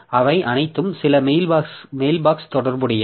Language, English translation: Tamil, So, so they are all associated with some mail box